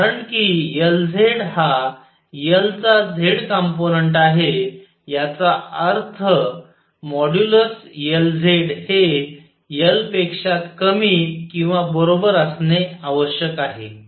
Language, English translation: Marathi, Since L z is z component of L it means that modulus L z has to be less than or equal to L